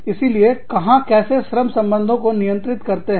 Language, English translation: Hindi, So, where, how do you govern, the labor relations